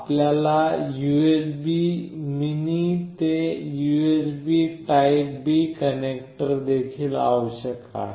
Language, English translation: Marathi, You also required the USB mini to USB typeB connector